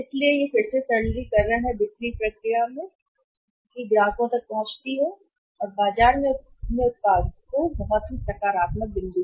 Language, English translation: Hindi, So, that is again the simplification of the selling process reaching up to the customer and selling their product in the market that is also very positive point